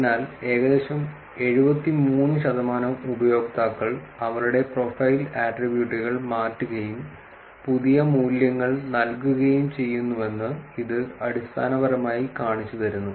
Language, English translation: Malayalam, So, this is basically showing you that about 73 percent of the users change their profile attributes and assign new values